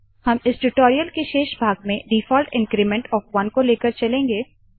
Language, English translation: Hindi, In the rest of this tutorial, we will stick to the default increment of 1